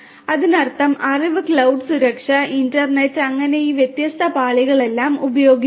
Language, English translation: Malayalam, That means, the knowledge you know cloud security, internet and so on so all of these different layers are used